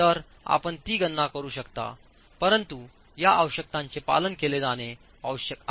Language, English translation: Marathi, So you can make that calculation but these requirements have to be have to be followed